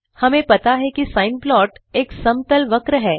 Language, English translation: Hindi, We know that a sine plot is a smooth curve